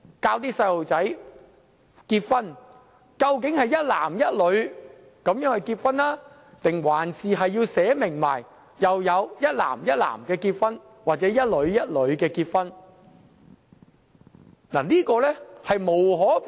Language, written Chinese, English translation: Cantonese, 當我們向小朋友講解結婚時，究竟要說是一男一女結合，還是要註明有一男一男或一女一女的結合呢？, When we explain marriage to children should we say that it is the union of one man with one women or should we specify that it may also be the union of two men or two women?